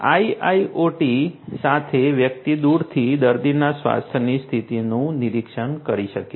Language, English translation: Gujarati, With IIoT, one can monitor the patients health condition remotely